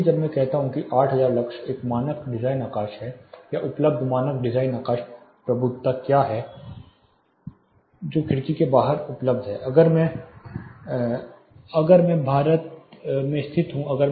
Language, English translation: Hindi, So, when I say at 8000 lux is a standard designs sky or what is available standard design sky illuminance which is available outside by window if I am located in India